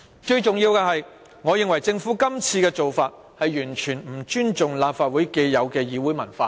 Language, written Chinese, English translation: Cantonese, 最重要的是，我認為政府今次的做法完全不尊重立法會既有的議會文化。, Most importantly I consider the Governments a total disrespect for the established parliamentary culture of the Legislative Council